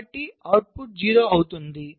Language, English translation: Telugu, so the output will be zero, right